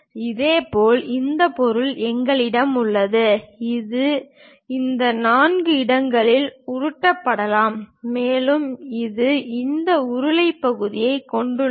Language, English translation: Tamil, Similarly, we have this object, which can be bolted at this four locations and it has this cylindrical portion